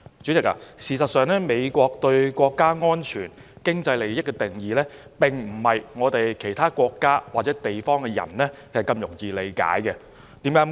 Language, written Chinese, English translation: Cantonese, 主席，事實上，美國對國家安全和經濟利益的定義，並非其他國家或地區的人如此容易理解的。, President in fact the US definition of national security and economic interests is not so easily comprehensible to people of other countries or regions